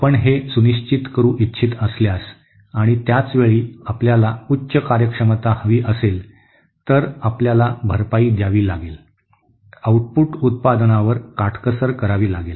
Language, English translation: Marathi, If you want to ensure that and at the same time we want a higher efficiency, then we have to compensate, we have to cut corners on the output product